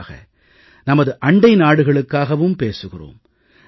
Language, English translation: Tamil, And very specially to our neighbouring countries